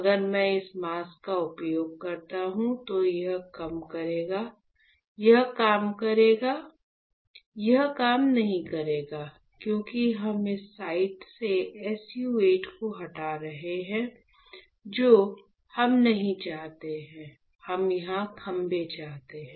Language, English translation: Hindi, So, if I use this mask will it work, will it work, it will not work; because we are removing SU 8 from this site, which is not what we want, we want pillars here